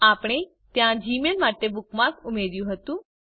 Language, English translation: Gujarati, We had also added a bookmark for gmail there